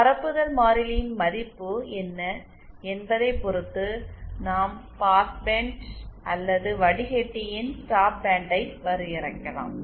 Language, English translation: Tamil, Depending on what this value of propagation constant is we can define the pass band or the stop band of the filter